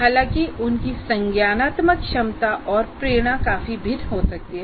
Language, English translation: Hindi, However, their cognitive abilities and motivations can considerably vary